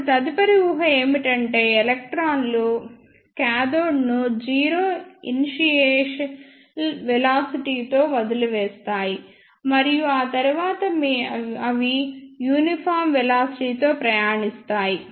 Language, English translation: Telugu, Now, next assumption is electrons leave the cathode with zero initial velocity and after that they will move with uniform velocity